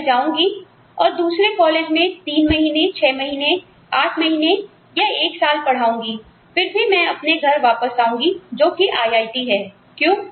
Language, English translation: Hindi, I will teach in another college for three month, six month, eight months, one year, but I will still come back, to my home, which is IIT